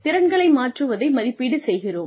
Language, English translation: Tamil, We evaluate transfer of skills